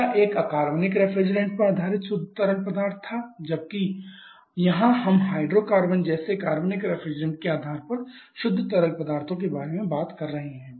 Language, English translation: Hindi, Third is the pure fluids pure fluids generally refers to hydrocarbons previous one was a pure fluid based on inorganic refrigerants here whereas here we are talking about pure fluids based on the organic reference like the hydrocarbons